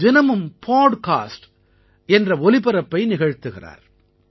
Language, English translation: Tamil, He also does a daily podcast